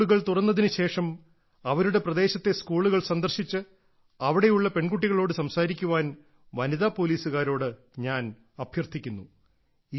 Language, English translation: Malayalam, I would like to request the women police personnel to visit the schools in their areas once the schools open and talk to the girls there